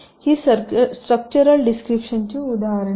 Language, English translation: Marathi, these are examples of structural descriptions